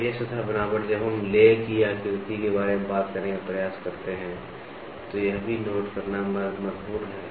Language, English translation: Hindi, And this surface texture when we try to talk about the lay pattern is also very important to note